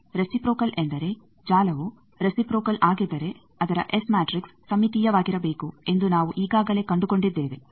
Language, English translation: Kannada, Reciprocal means we have already found that if the network is reciprocal its S matrix should be symmetric